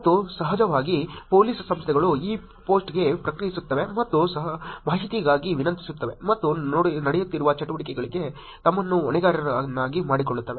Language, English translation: Kannada, And of course, police organizations respond to this post, and request for information and follow up on things also making themselves accountable for the activity that is going on